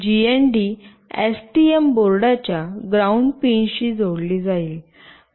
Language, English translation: Marathi, The GND will be connected to the ground pin of the STM board